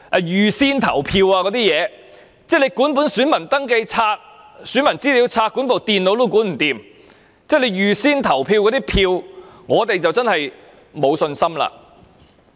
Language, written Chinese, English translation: Cantonese, 如果他們連選民登記冊、選民資料冊和電腦也無法妥善管理，對於那些預先投票的選票，我們真的沒有信心。, If they are incapable of properly managing even the Registers of Electors records of electors data and computers we really have no confidence in those ballot papers for advance polling